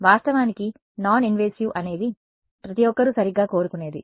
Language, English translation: Telugu, Of course, non invasive is something that everyone wants right